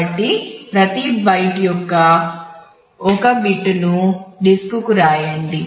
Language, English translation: Telugu, So, write bit I of each byte to disk I it is